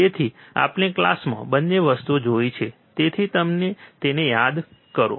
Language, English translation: Gujarati, So, we have seen both the things in the class so, just recall it